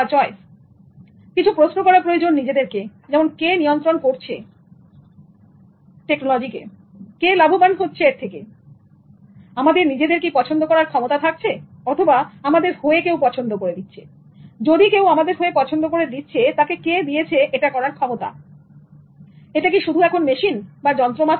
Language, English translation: Bengali, we need to ask questions like who controls technology who benefits from it and do we have a choice or is somebody choosing it for us and who is giving him or her the power to choose it or is it him or her or just it just just a machine